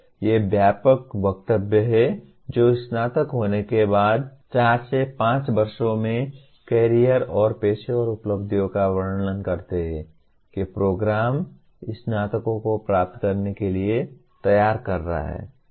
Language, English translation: Hindi, These are broad statements that describe the career and professional accomplishments in four to five years after graduation that the program is preparing the graduates to achieve